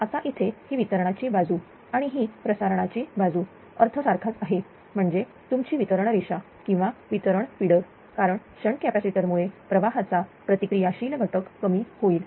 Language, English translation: Marathi, Now, here it is distribution side there is transmission side meaning is same; that means, ah your that your distribution line or distribution feeder because of the shunt capacitor reactive component of the current will decrease